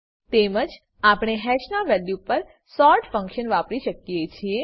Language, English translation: Gujarati, Similarly, we can use the sort function on values of hash